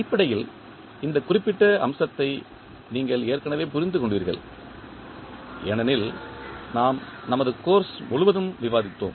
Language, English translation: Tamil, Basically this particular aspect you have already understood because we have discussed throughout our course